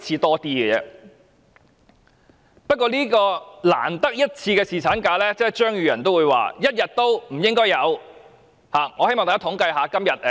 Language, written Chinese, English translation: Cantonese, 可是，對於這個難得一次的侍產假，張宇人議員卻認為連1天也不應該有。, Nevertheless regarding this precious opportunity of enjoying paternity leave Mr Tommy CHEUNG thinks that even one day of paternity leave should not have been granted